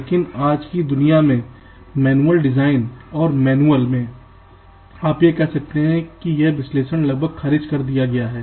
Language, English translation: Hindi, but in todays world, manual design and manual ah, you can say analysis is almost ruled out